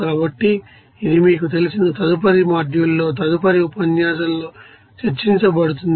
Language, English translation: Telugu, So, it will be discussed in the you know next module in the next lecture